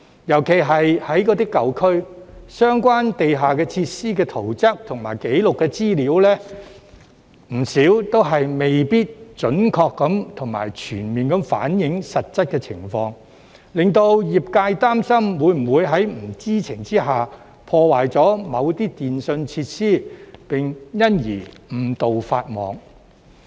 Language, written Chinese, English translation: Cantonese, 尤其是在舊區，相關地下設施的圖則紀錄資料，不少都未必準確和全面反映實質情況，令業界擔心會否在不知情之下，破壞某些電訊設施，並因而誤墮法網。, Especially in old districts many record plans of the relevant underground facilities may not accurately and fully reflect the actual situation . As such the sector is concerned about the possibility of unknowingly damaging certain telecommunications facilities and thus inadvertently breaking the law